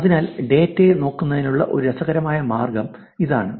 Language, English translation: Malayalam, So, here is an interesting way of actually looking at it the data